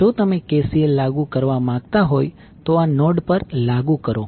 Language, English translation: Gujarati, So, if you applied KCL apply to this particular node